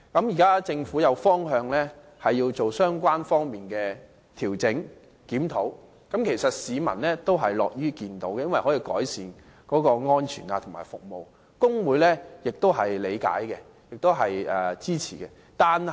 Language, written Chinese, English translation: Cantonese, 現時政府定出方向，計劃進行有關的調整和檢討，市民也是樂見的，因這可以改善巴士的安全和服務，工會也是理解和支持的。, Now the Government has set a direction and plans to make adjustments and conduct a review . The public are happy to see all this for so doing can improve the safety and services of buses and the staff unions also appreciate and support it